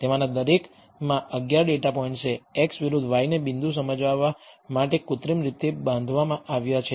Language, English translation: Gujarati, Each one of them having 11 data points, x versus y they are synthetically constructed to illustrate the point